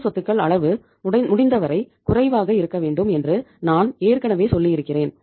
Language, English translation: Tamil, As I told that the current assets level should be as low as possible